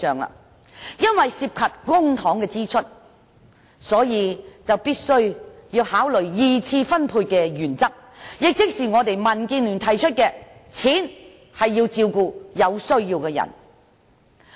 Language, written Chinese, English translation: Cantonese, 由於涉及公帑支出，所以必須考慮二次分配的原則，亦即民建聯提出的"錢是要用來照顧有需要的人"。, As this involves public money we must take the principle of secondary allocation into account which refers to the concept advocated by the Democratic Alliance for the Betterment and Progress of Hong Kong that is spend the money where it is due